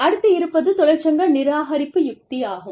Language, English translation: Tamil, So, this is called the, union suppression strategy